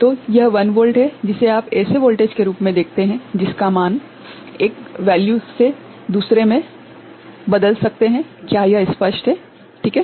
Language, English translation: Hindi, So, this is 1 volt is what you see as the voltage that it can you know, move from one value to another is it clear, right